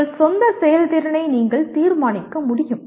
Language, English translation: Tamil, You are able to judge your own performance